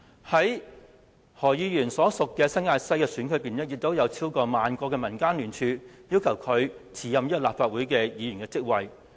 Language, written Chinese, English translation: Cantonese, 在何議員所屬的新界西的選區裏，也有超過萬個的民間聯署，要求他辭任立法會議員職位。, Besides in the New Territories West Constituency to which Dr HO belongs more than ten thousand signatures have been collected from people in the local community who want him to resign from the office of Member of the Legislative Council